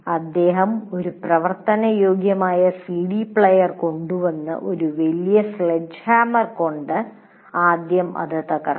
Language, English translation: Malayalam, He would bring a working CD player and bring a large sledge hammer and break it